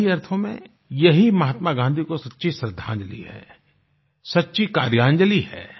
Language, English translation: Hindi, This would be the real way of paying true tributes to Mahatma Gandhi, the Karyanjali, the offering of deeds